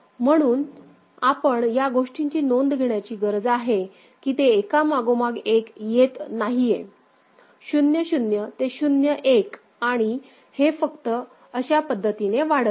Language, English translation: Marathi, So, you need to be take note of this thing that it is not coming one after another 0 0 to 0 1 and it is just incrementing in that manner